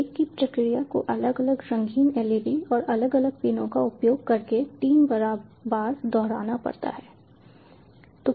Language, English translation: Hindi, the same process has to be repeated three times using different colored leds and at different pins